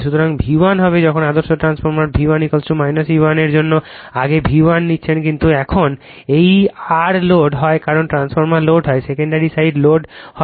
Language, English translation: Bengali, So, V 1 will be when you are taking that V 1 earlier for ideal transformer V 1 is equal to minus E 1 but now this R are the loaded because of the transformer is loaded, secondary side is loaded